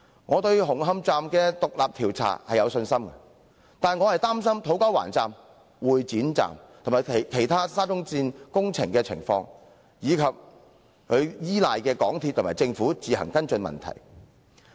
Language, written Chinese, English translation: Cantonese, 我對於紅磡站的獨立調查有信心。然而，我卻只是擔心土瓜灣站、會展站及沙中線其他工程的情況，以及依賴港鐵公司和政府自行跟進問題的做法。, I have confidence in the independent inquiry into Hung Hom Station but I am worried about the conditions of To Kwa Wan Station and Exhibition Centre Station and other construction works of SCL as well as the practice of relying on MTRCL and the Government to follow up on the problems